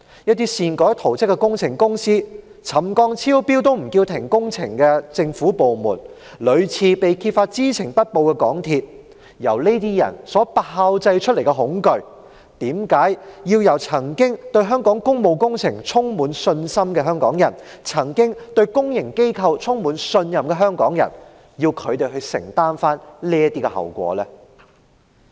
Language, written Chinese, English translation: Cantonese, 由擅改圖則的工程公司、沉降超標也不叫停工程的政府部門、屢次被揭發知情不報的港鐵公司炮製出來的恐懼，為何要由曾經對香港工務工程充滿信心、對公營機構充滿信任的香港人承擔後果呢？, Hong Kong people used to be confident about our public works and trust our public organizations . Why should they bear the consequences of the fear brewed by an engineering company which changed the plans arbitrarily government departments which did not stop the works despite excessive settlement and the MTR Corporation Limited MTRCL which was found to have failed to make reports repeatedly? . President in fact most pro - establishment Members in the Council today are also dissatisfied with MTRCL